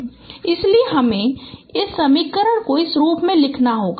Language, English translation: Hindi, So this can be written in this form